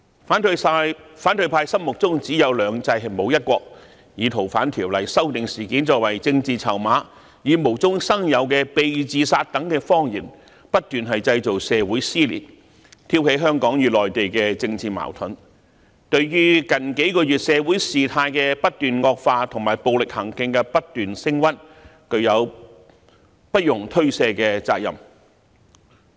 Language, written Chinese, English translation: Cantonese, 反對派心目中只有"兩制"，沒有"一國"，以修訂《逃犯條例》事件作為政治籌碼，以無中生有的"被自殺"等謊言，不斷製造社會撕裂，挑起香港與內地的政治矛盾，對於近幾個月社會事態的不斷惡化及暴力行徑不斷升溫，具有不容推卸的責任。, In the minds of opposition Members there are only two systems but not one country . They have used incidents arising from the opposition to the proposed legislative amendments to gain political chips and utilized lies and fabricated messages about someone being suicided to keep tearing society apart and stirring up political conflicts between Hong Kong and the Mainland . Thus they cannot be absolved from the responsibility of aggravating the social situation and escalating acts of violence